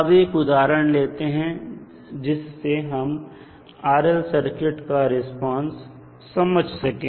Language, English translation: Hindi, Now, let us take 1 example to understand the response of RL circuit